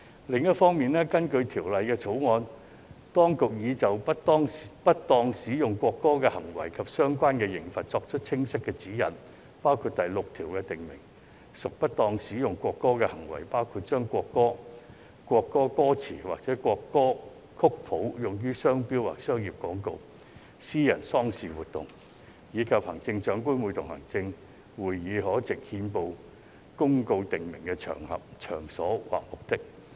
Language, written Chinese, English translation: Cantonese, 另一方面，根據《條例草案》，當局已就不當使用國歌的行為及相關刑罰作出清晰指引，包括第6條訂明"不當使用國歌的罪行"，包括把國歌、國歌歌詞或國歌曲譜用於商標或商業廣告、私人喪事活動，以及行政長官會同行政會議藉憲報公告訂明的場合、場所或目的。, On a different note pursuant to the Bill the authorities have set out clear guidelines on the misuse of the national anthem and the related penalty . Among them clause 6 provides for the Offence of misuse of national anthem including using the national anthem or the lyrics or score of the national anthem in a trade mark or commercial advertisement at a private funeral event or on an occasion at a place or for a purpose prescribed by the Chief Executive in Council by notice published in the Gazette